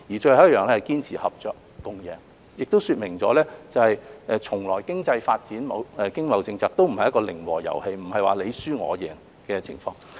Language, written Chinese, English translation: Cantonese, 最後一項是堅持合作共贏，說明了經濟發展、經貿政策從來都不是零和遊戲，不是"你輸我贏"的情況。, Lastly we need to promote mutually beneficial cooperation which illustrates that economic development and trade policies are never a zero - sum game in which there is only one winner